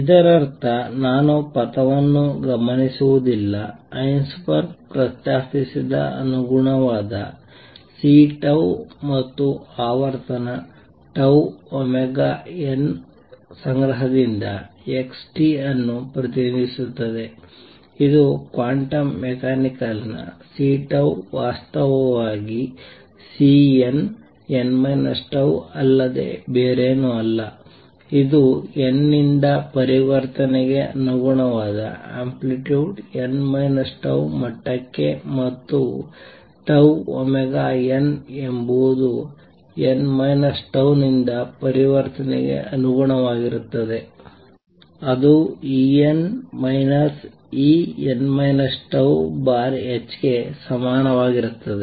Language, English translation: Kannada, That means I do not observe the trajectory therefore, what Heisenberg proposes represent xt by collection of corresponding C tau and frequency tau omega n, which quantum mechanically are nothing but C tau is actually C n, n minus tau that is the amplitude corresponding to transition from n to n minus tau level, and tau omega n is nothing but omega corresponding to transition from n to n minus tau, which is equal to En minus E n minus tau divided by h cross